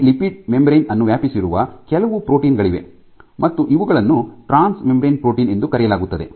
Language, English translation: Kannada, So, there are some proteins which span the entire lipid membrane and these are called transmembrane proteins